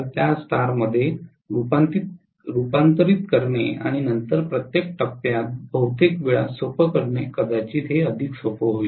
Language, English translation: Marathi, It is probably easier to convert that into star and then do it in per phase most of the time that is easier